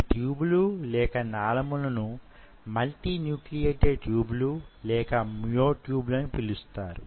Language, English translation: Telugu, And these tubes are called multi nuclated tubes or myotubes